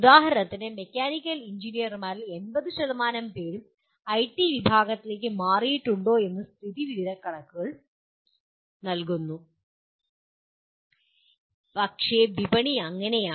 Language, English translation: Malayalam, For example that provide statistics whether the, if 80% of the mechanical engineers have shifted to IT disciplines, but that is the way the market is